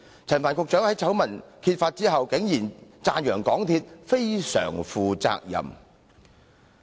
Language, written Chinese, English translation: Cantonese, 陳帆局長在醜聞揭發後，竟讚揚港鐵公司"非常負責任"。, After the scandal was exposed Secretary Frank CHAN even commended MTRCL for being very responsible